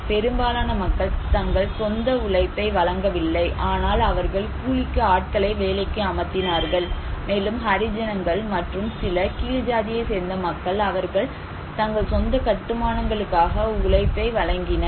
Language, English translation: Tamil, Here is the contribution of the labour for their own, most of the people they did not provide their own labour but they hired labour, you can see these all are hired labour and some few people especially the Harijans and some low caste groups, they contributed labour for their own constructions